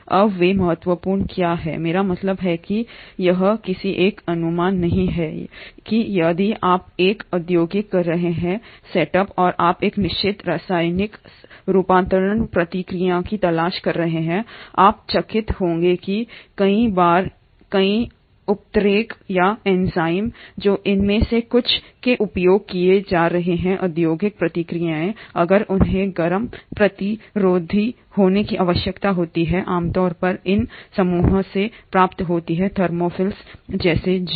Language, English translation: Hindi, Now why they are important, I mean, itÕs no oneÕs guess that if you are having an industrial setup and you are looking for a certain chemical conversion process, you will be astonished that a many a times a lot of catalysts or enzymes which are being used in some of these industrial processes, if they need to be heat resistant are usually derived from these group of organisms like the thermophiles